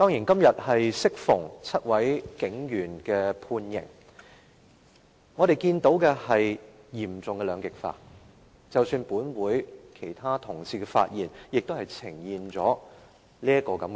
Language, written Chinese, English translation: Cantonese, 今天適逢是7名警員判刑的日子，我們看到嚴重的兩極化，即使是本會其他同事的發言，也呈現了這種現象。, Today happens to be the date of sentence of the seven police officers . As we can see there is serious polarization . Such a phenomenon has appeared even in the speeches of the other Honourable colleagues in this Council